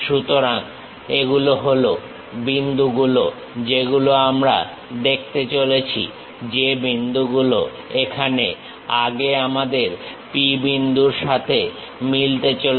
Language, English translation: Bengali, So, these are the points what we are going to see, the points which are going to match with our earlier P point is this